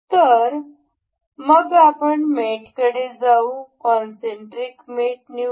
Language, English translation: Marathi, So, we will go to mate and select concentric